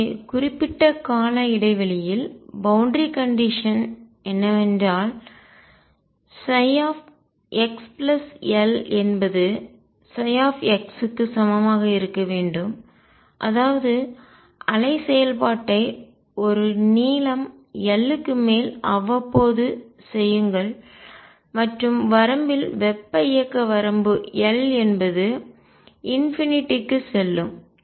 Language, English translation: Tamil, So, what periodic boundary condition does is demand that psi x plus L be same as psi x; that means, make the wave function periodic over a length L and in the limit thermodynamic limit will at L go to infinity